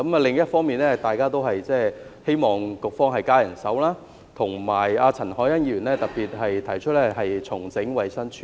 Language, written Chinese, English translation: Cantonese, 另一方面，大家都希望局方增加人手，而陳凱欣議員特別提出，重整衞生署。, Meanwhile we all hope for increased manpower and Ms CHAN Hoi - yan has specifically proposed to restructure the Department of Health